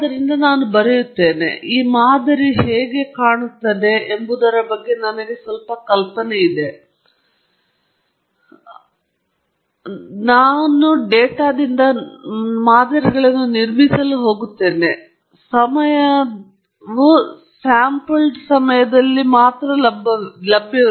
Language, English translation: Kannada, So, I do write, and I have some idea of how the model should look like as in case three; but now the problem is we are no longer in continuous time, because we are going to build models from data, and data is available only at sampled, in a sampled instance in time; it’s not available at every point in time